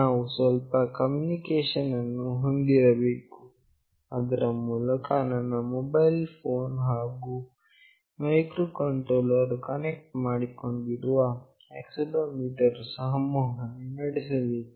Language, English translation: Kannada, We need to have some communication through which my mobile phone and the microcontroller with which it is connected with the accelerometer should communicate